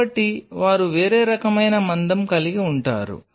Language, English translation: Telugu, So, they have a different kind of thickness